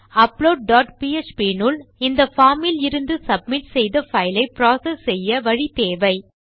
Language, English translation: Tamil, So inside upload dot php we need a way of processing this file which has been submitted from our form